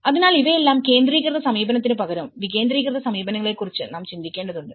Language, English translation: Malayalam, So, all this instead of centralized approach, we need to think of the decentralized approaches